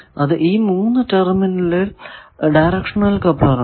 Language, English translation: Malayalam, So, this becomes a directional coupler